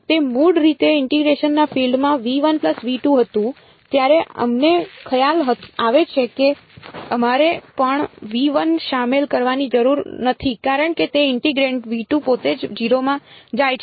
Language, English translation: Gujarati, It was in the originally the region of integration was v 1 plus v 2 then we realise we do not need to also include v 1 because that integrand is itself go into 0 outside v 2 right